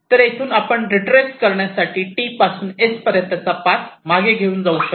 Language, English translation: Marathi, so from here you can retrace the path from t to s to find out the solution